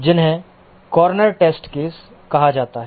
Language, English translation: Hindi, Those are called as the corner test cases